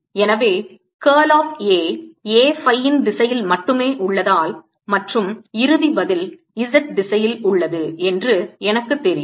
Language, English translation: Tamil, since a is in only phi direction and i also know that the final answer is in the z direction